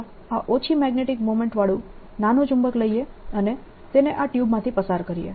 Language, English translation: Gujarati, let's take this magnet with a small magnetic moment and put it through this tube channel